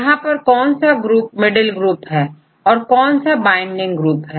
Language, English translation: Hindi, Where which groups say middle group or binding group and so on